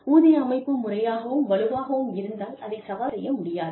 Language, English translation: Tamil, If the pay structure is systematic and robust, it cannot be challenged